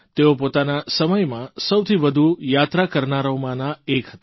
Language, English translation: Gujarati, He was the widest travelled of those times